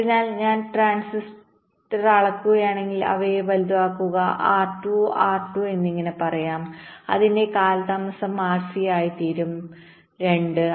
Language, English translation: Malayalam, so if i scale up the transistor, make them bigger, lets say r by two, r by two, then my delay will become r, c by two right